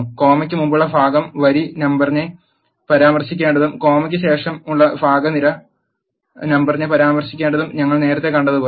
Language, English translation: Malayalam, As we have seen earlier the part before the comma should refer to the row number and the part after the comma should refer to the column number